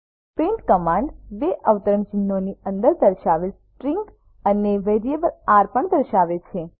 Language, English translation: Gujarati, print command displays the string within double quotes and also displays variable $r